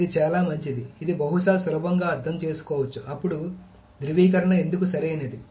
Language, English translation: Telugu, That is, this one is probably easier to understand why the validation is correct